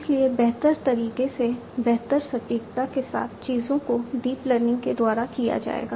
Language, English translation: Hindi, So, better accuracy in a better manner will be done things will be done by deep learning